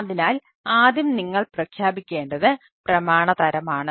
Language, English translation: Malayalam, so first of all, you need to declare the document type